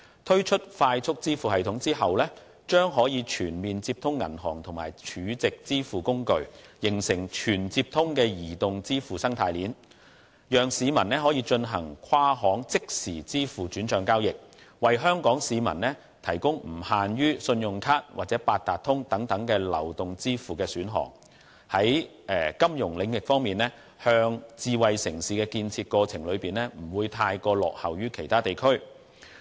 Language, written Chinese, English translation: Cantonese, 推出"快速支付系統"後，將可以全面接通銀行與儲值支付工具，形成"全接通"的移動支付生態鏈，讓市民可以進行跨行即時支付轉帳交易，為香港市民提供不限於信用卡或八達通等流動支付的選項，令金融領域在智慧城市的建設過程中不會太過落後於其他地區。, With the introduction of FPS banks and store value facilities can be linked up to form a comprehensive network of mobile payment chain . Users may perform inter - bank real - time transfers and mobile payments through options other than credit cards or Octopus cards . In this way the financial sector will not fall too far behind other regions in the course of smart city development